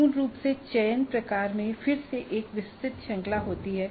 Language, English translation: Hindi, So basically the selection type again has a wide range